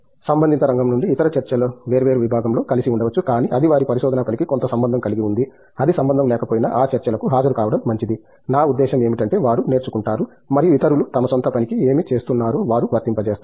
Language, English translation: Telugu, Other Talks from related area it could be in different department all together, but if it is having some connection to their research work it is, even if it’s not a connections it is good to attend those talks to, I mean that is how they learn and that is how they kind of apply what others are doing to their own work, right